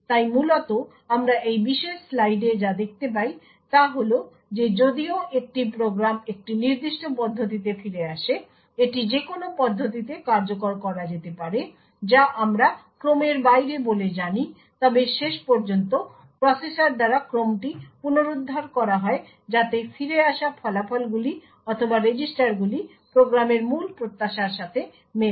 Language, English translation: Bengali, So essentially what we see in this particular slide is that even though a program is return in a particular manner it would could be executed in any manner which we known as out of order, but eventually the order is restored by the processor so that the results or the registers return back would match the original expectation for the program